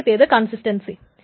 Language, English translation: Malayalam, So first is consistency